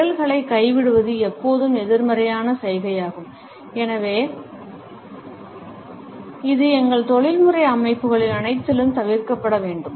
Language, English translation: Tamil, Dropping of fingers is always a negative gesture and therefore, it should be avoided in all of our professional settings